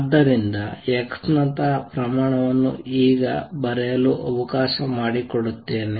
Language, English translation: Kannada, So, a quantity like x would be represented by let me now write it